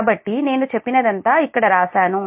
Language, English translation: Telugu, so everything is written here